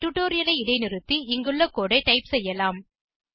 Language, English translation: Tamil, You can pause the tutorial, and type the code as we go through this example